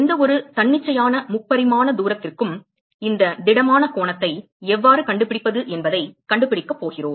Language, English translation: Tamil, We are going to know find out how to find this solid angle for any arbitrary 3 dimensional distance